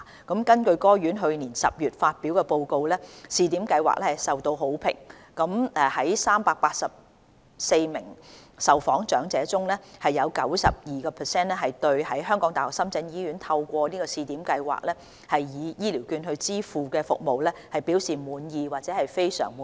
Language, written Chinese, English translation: Cantonese, 根據該院去年10月發表的報告，試點計劃受到好評，在384名受訪長者中，有 92% 對在港大深圳醫院透過試點計劃以醫療券支付的服務表示滿意或非常滿意。, According to a report published by it in October last year the Pilot Scheme was well received . Out of the 384 elders interviewed 92 % were satisfied or very satisfied with the services received at HKU - SZH paid for by HCVs under the Pilot Scheme